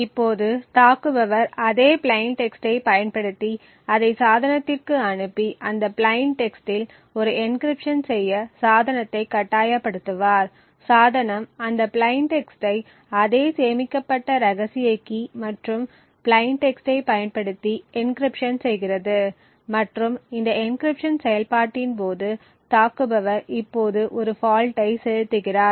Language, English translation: Tamil, Now the attacker would use the same plain text and pass it to the device and force the device to do an encryption on that plain text, the device would encrypt that plain text using the same stored secret key and the plain text and during this encryption process the attacker now injects a fault